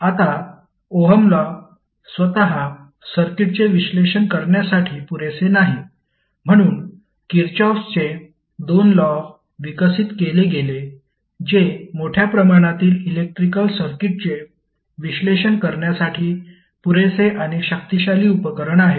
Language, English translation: Marathi, Now, the Ohm’s Law itself is not sufficient to analyze the circuit so the two laws, that is Kirchhoff’s two laws were developed which are sufficient and powerful set of tools for analyzing the large variety of electrical circuit